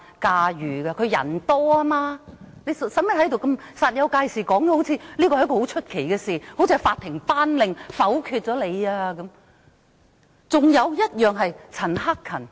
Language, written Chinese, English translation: Cantonese, 所以她用不着在此煞有介事地說成是甚麼出奇的事，就好像是法庭頒令否決一樣。, Hence she did not have to make a fuss in declaring that something odd had happened as if my motion was vetoed by a court order